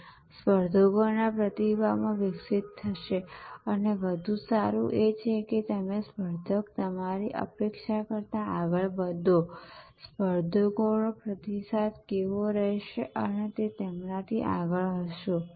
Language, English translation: Gujarati, It will move evolve in response to competitors and more a better is that you move ahead of the competitor your anticipate, what the competitors response will be and you be ahead of them